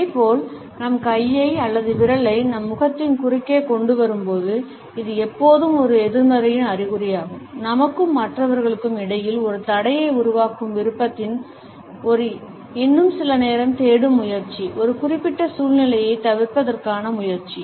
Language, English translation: Tamil, Similarly, we find that when we bring our hand or our finger across our face, etcetera, it is always an indication of a negativity, of our desire to create a barrier between us and other people an attempt to seek some more time, an attempt to avoid a particular situation